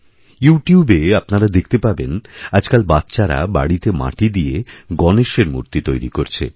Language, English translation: Bengali, If you go on YouTube, you will see that children in every home are making earthen Ganesh idols and are colouring them